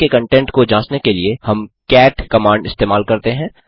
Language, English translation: Hindi, To check the contents of the file, we use the cat command